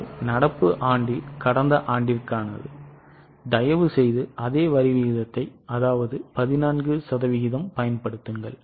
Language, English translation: Tamil, Now, in the current year please apply the same tax rate 14%